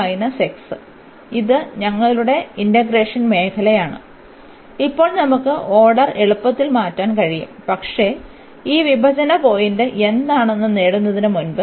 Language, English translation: Malayalam, So, this is our region of integration and now we can easily change the order, but before we need to get what is this point of intersection